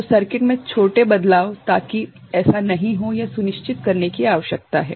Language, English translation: Hindi, So, small variations in the circuit that is not so, this is needed to be ensured